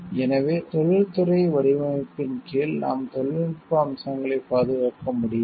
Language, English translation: Tamil, So, under industrial design we cannot protect for technical features